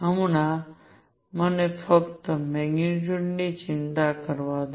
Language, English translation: Gujarati, Right Now let me just worry about the magnitude